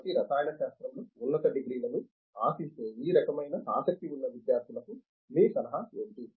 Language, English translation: Telugu, So, what are your words of advice to these kinds of aspiring students for aspiring for higher degrees in chemistry